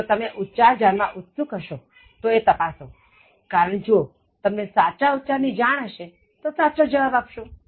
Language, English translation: Gujarati, If you are curious, you just check the pronunciation, because if you know the right pronunciation, they also give you the correct answers